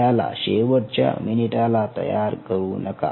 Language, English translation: Marathi, do not leave it for the last minute